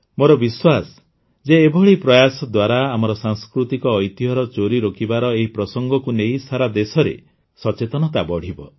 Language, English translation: Odia, I am sure that with such efforts, awareness will increase across the country to stop the theft of our cultural heritage